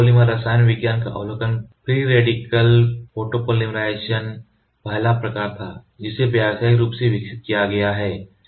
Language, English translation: Hindi, The overview of photopolymer chemistry, free radical photopolymerization was the first type that can be commercially developed